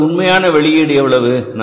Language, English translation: Tamil, Now what is actual output